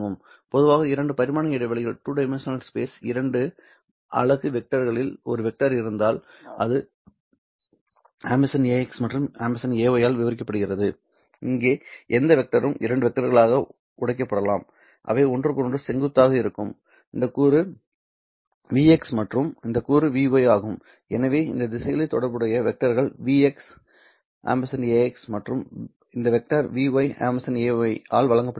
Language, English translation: Tamil, In general if I have a vector in the two unit vectors in the two dimensional space which is described by a x hat and a y hat any vector here can be broken down into two vectors which are themselves perpendicular to each other this component is v x and this component is v y so the corresponding vectors along these directions is given by vx a x had and this vector is given by v y y hat a y hat